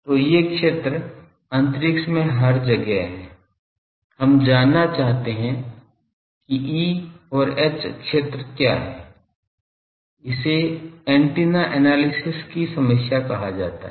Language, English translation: Hindi, So, these everywhere in space we want to find what is the E and H field, this is called the problem of antenna analysis